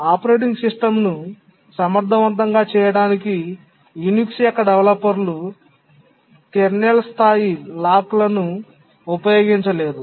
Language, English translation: Telugu, The developers of the Unix to make the operating system efficient did not use kernel level locks